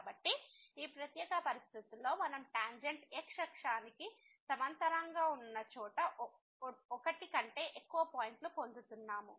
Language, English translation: Telugu, So, in this particular situation we are getting more than one point where the tangent is parallel to the